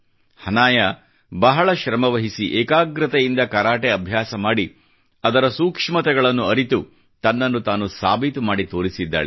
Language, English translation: Kannada, Hanaya trained hard in Karate with perseverance & fervor, studied its nuances and proved herself